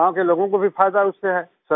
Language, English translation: Hindi, And the people of the village also benefit from it